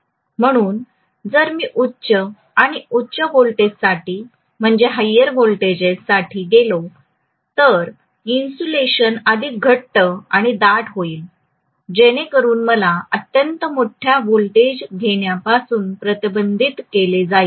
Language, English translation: Marathi, So the insulation will become thicker and thicker if I go for higher and higher voltages, so that essentially prevents me from having extremely large voltages